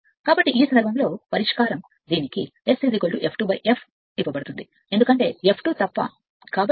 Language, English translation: Telugu, So, in this case solution is equal to it is given S is equal to f 2 upon f